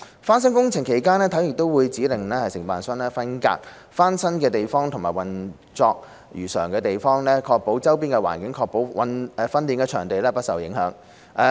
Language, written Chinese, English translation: Cantonese, 翻新工程期間，體院會指令承建商，分隔翻新的地方及運作如常的地方，保護周邊的環境，確保訓練場地不受影響。, During renovation HKSI will instruct the contractors to separate areas under renovation from areas for normal operation so that the surrounding environment will be protected and the training venues will be unaffected